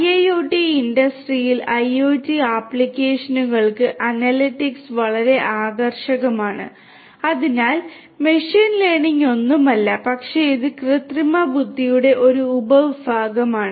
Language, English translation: Malayalam, Analytics very attractive for IIoT industrial, IoT applications; so, machine learning is nothing, but it is a subset of artificial intelligence